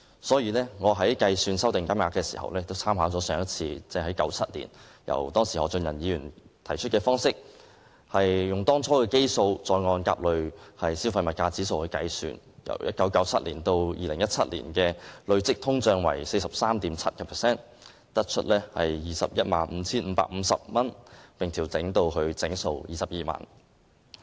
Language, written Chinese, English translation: Cantonese, 所以我在計算修訂金額時，也參考上一次，即1997年由當時何俊仁議員提出的方式，用當初的基數，再按甲類消費物價指數來計算，由1997年至2017年的累積通脹為 43.7%， 得出 215,550 元，並調整至整數22萬元。, Hence we make reference to the methodology adopted by Mr Albert HO in the last adjustment of the bereavement sum in 1997 . Using the initial sum as the base we calculate the adjustment rate by tracking the changes in the Consumer Price Index A CPIA . On the basis of the 43.7 % cumulative inflation rate over the period from 1997 to 2017 the adjusted sum should be 215,550 rounding up to 220,000